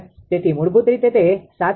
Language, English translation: Gujarati, So, basically it will be 725